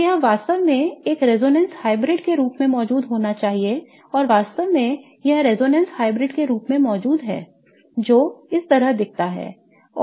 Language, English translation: Hindi, So, it should really exist as a resonance hybrid and in fact it does exist as a resonance hybrid that looks like this